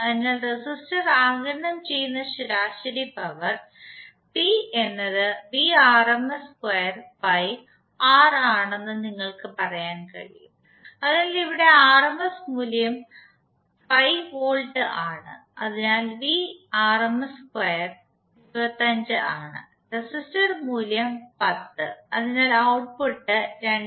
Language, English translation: Malayalam, So the average power absorbed by the resistor you can say that P is nothing but rms square by R, so here rms value which we derived is 5 volts, so Vrms square is 25, resistor value is 10, so output would be 2